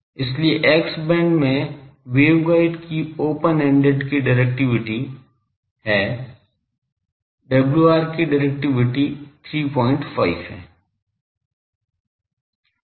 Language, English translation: Hindi, So, directivity of a open ended the waveguide in X band that WR 90 the directivity is 3